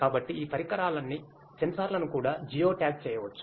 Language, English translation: Telugu, So, all these devices, sensors can be geo tagged also ok